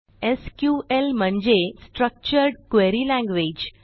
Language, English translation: Marathi, SQL stands for Structured Query Language